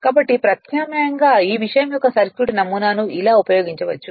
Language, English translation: Telugu, So, actu[ally] so alternatively the circuit model of this thing could be used like this